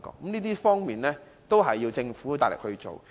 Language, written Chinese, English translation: Cantonese, 上述各方面要靠政府大力推行。, However all these require great efforts from the Government